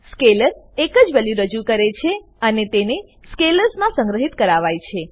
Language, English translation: Gujarati, Scalar represents a single value and can store scalars only